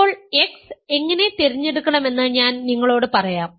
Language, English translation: Malayalam, And now I claim that now I will tell you how to choose x